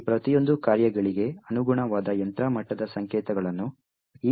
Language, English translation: Kannada, What these numbers actually represent are the machine level codes corresponding to each of these functions